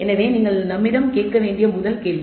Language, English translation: Tamil, So, the first question that you should ask us the purpose